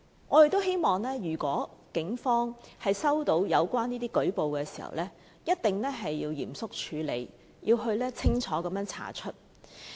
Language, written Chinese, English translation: Cantonese, 我們希望如果警方接獲有關舉報，一定要嚴肅處理，清楚徹查。, The Police must seriously handle and fully investigate the cases if they receive relevant reports